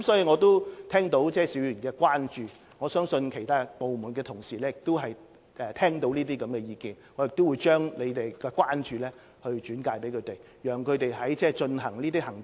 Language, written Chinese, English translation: Cantonese, 我已聽到邵議員的關注，我相信其他部門的同事亦已聽到這些意見，我會將議員的關注轉介他們跟進。, I have heard Mr SHIUs concerns . I think colleagues from other departments have also heard these views . I will relay the Members concerns to them for follow up